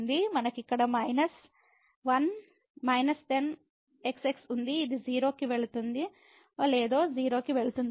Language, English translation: Telugu, So, we have here minus goes to 0 whether this goes to 0